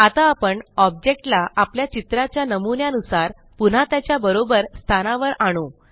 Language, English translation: Marathi, Now, we shall move the objects back to their correct positions as per our sample drawing